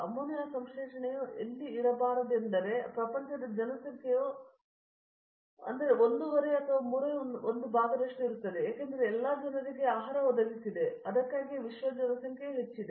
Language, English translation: Kannada, If ammonia synthesis where not to be there, world population will be one half or one third, because it has provided the food for all the people, that is why world population has increased